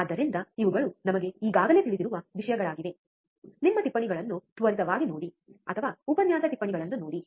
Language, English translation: Kannada, So, these are the things we already know so, just quickly look at your notes, or look at the lecture notes, and you will see anyway